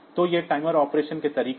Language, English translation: Hindi, So, this will be operating as a timer